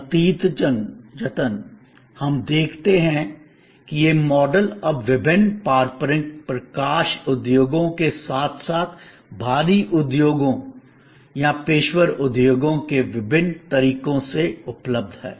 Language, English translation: Hindi, As a result, we find that, this model is now available in number of different ways in very traditional light industries as well as having heavy industries or professional industries